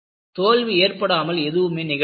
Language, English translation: Tamil, Without failures, nothing has happened